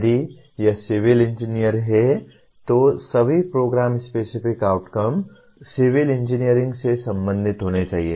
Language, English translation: Hindi, If it is civil Engineering all the program specific outcome should be related to Civil Engineering